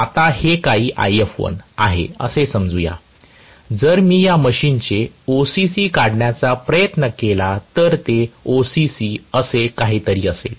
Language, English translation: Marathi, Let us say that is some If1, now if I try to draw the OCC of this machine may be the OCC will be some what like this